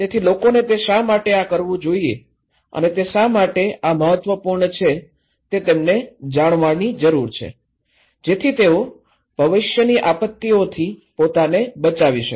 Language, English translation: Gujarati, So, why people should do it because they need to know that this is the important and I should do it, in order to protect myself from future disasters